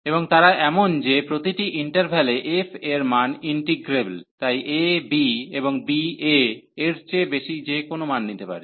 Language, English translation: Bengali, And they are such that, that f is integrable on each interval, so a, b and b can take any value greater than a